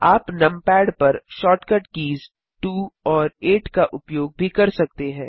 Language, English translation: Hindi, You can also use the shortcut keys 2 and 8 on the numpad